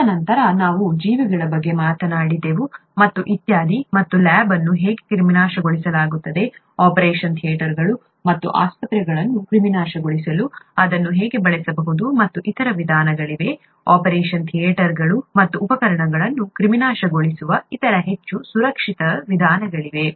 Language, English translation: Kannada, And then we talked about organisms and so on so forth and I told you how a lab is sterilized, how that can also be used to sterilize operation theatres and hospitals, and there are other means, other more, other more safer means of sterilizing operation theatres and instruments